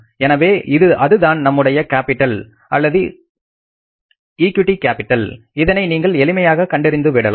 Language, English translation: Tamil, So that will be the value of the C or the equity capital you can easily find out